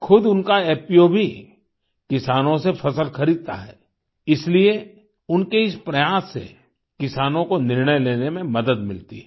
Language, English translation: Hindi, His own FPO also buys produce from farmers, hence, this effort of his also helps farmers in taking a decision